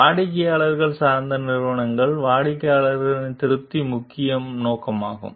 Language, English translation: Tamil, In the customer oriented companies, the customer satisfaction is the main objective